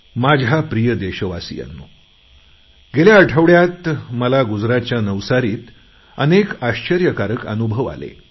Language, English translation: Marathi, My dear countrymen, last week I had many wonderful experiences in Navsari, Gujarat